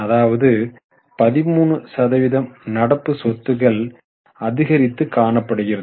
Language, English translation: Tamil, So, around 13% increase in current assets